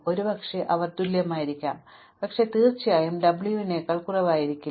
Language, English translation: Malayalam, Perhaps they were equal, but certainly w was not less than v